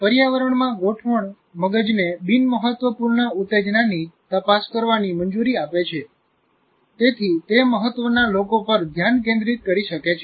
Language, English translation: Gujarati, The adjustment to the environment allows the brain to screen out unimportant stimuli so it can focus on those that matter